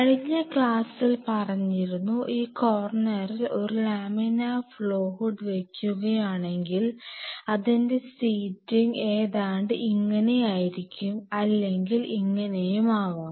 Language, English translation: Malayalam, So, in the last class, we talked about that in this corner if we put a laminar flow hood with a sitting arrangement like this or sitting arrangement like this or maybe a sitting arrangement like this we cut the